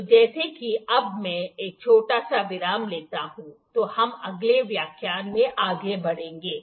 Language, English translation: Hindi, So, as if now I will just take a small pause then we will move in a next lecture